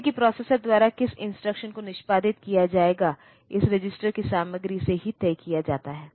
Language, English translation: Hindi, Like which instruction will be executed next by the processor is decided solely by the content of this register